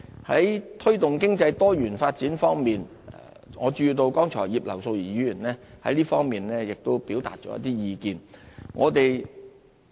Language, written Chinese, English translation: Cantonese, 在推動經濟多元發展方面，我注意到葉劉淑儀議員剛才亦就此表達了一些意見。, Regarding the promotion of economic diversification some of the views given by Mrs Regina IP earlier have caught my attention